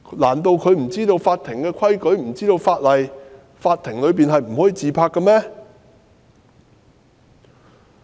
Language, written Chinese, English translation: Cantonese, 難道他不清楚法庭的規矩或法例禁止在法庭內自拍嗎？, How could he possibly be so ignorant about the prohibition against selfies in courtrooms under court rules or the law?